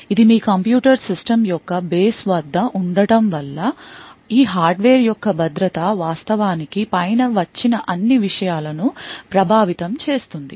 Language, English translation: Telugu, Since this is at the base of your computer systems, the security of these hardware could actually impact all the things which come above